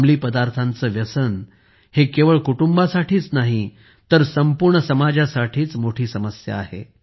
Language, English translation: Marathi, Drug addiction becomes a big problem not only for the family, but for the whole society